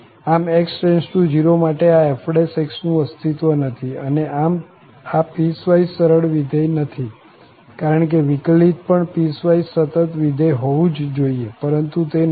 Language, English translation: Gujarati, This f prime does not exist as x goes to 0 and hence this is not piecewise smooth function because the derivative must be piecewise continuous function but this is not